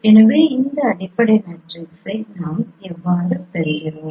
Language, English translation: Tamil, So you will get the same fundamental matrices